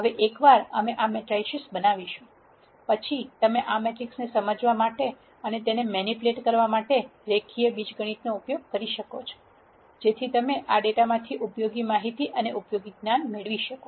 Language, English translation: Gujarati, Now, once we generate these matrices then you could use the linear algebra tools to understand and manipulate these matrices, so that you are able to derive useful information and useful knowledge from this data